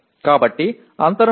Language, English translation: Telugu, There is a serious gap